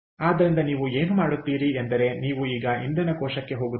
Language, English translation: Kannada, ok, so what you will do is you will now move on to fuel cell